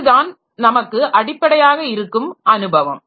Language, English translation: Tamil, So, this is basically the experience that we have